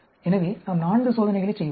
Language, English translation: Tamil, So, we will be doing 4 experiments